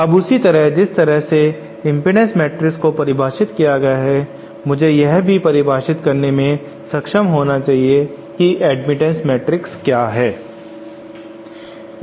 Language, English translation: Hindi, Now similarly in the same way that I defined impedance matrix I should also be able to define what I call the admittance matrix